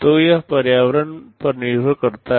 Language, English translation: Hindi, So, it depends on the environment